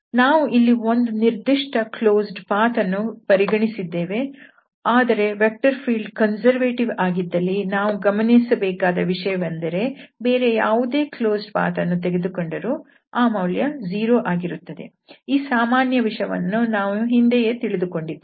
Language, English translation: Kannada, So one should also note that if the vector field is conservative then along any closed path, this was one of the close path we have considered here, but we can take any other closed path also and that value will be 0 because that standard result which we have studied before